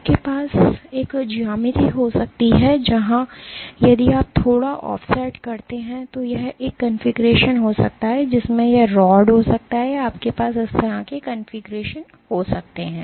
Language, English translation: Hindi, You can have a geometry where if you have slightly offset this might be one configuration in which this rod might have or you can have a configuration like this as well ok